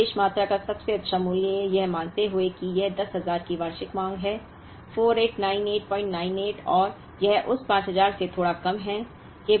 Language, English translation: Hindi, The best value of economic order quantity, assuming that this is an annual demand of 10,000, is 4898